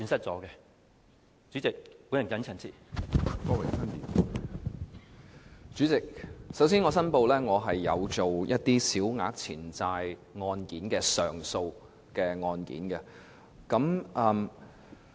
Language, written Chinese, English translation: Cantonese, 主席，首先，我申報我有處理一些小額錢債個案的上訴案件。, President first of all I declare that I have previously dealt with some small claims appeals